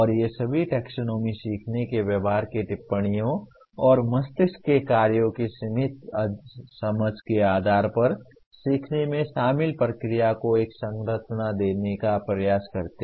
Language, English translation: Hindi, And all these taxonomies attempts to give a structure to the process involved in learning based on observations of learning behaviors and the limited understanding of how the brain functions